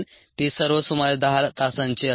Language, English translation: Marathi, they will all add up to around ten hours